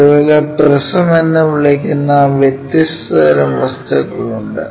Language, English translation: Malayalam, Similarly, there are different kind of objects which are called prisms